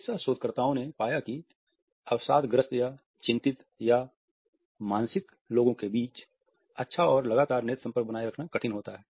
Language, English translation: Hindi, Medical researchers have found that amongst people who are depressed or anxious or psychotic, there is a difficulty in maintaining a good and frequent eye contact